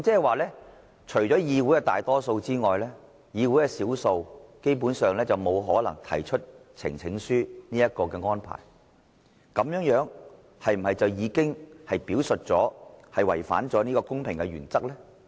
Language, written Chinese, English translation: Cantonese, 換言之，除了議會的大多數之外，議會少數，基本上沒有可能提出呈請書這個安排，這樣是否已經違反了公平原則呢？, In other words only Members in the majority can invoke the Rule by presenting a petition and the minority Members in the Council are basically unable to do so . Has this not violated the principle of fairness?